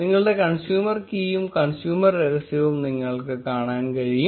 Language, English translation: Malayalam, And you will be able to see your consumer key and your consumer secret